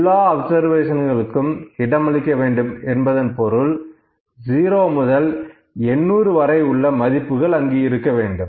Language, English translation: Tamil, It should accommodate all the observation means all the 800 values from 0 to 800 has to be accommodated